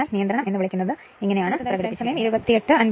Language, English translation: Malayalam, So, this is the expression of the your what you call the regulation right